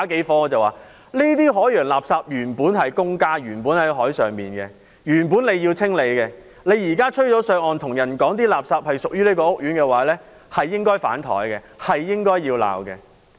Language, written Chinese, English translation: Cantonese, 我說："這些海洋垃圾原本在海上，政府原本應要清理，但現在被吹上岸，你卻跟我說垃圾屬於這個屋苑，真該被'反檯'和被罵"。, I then replied Marine litter originated from the sea; the Government should be responsible for clearing . However after the litter has been blown ashore you are telling me that the housing estate is now responsible for clearing . The Government should really be castigated and condemned